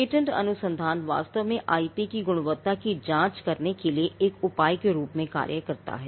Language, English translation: Hindi, Now, the patent research actually acts as a measure to check the quality of the IP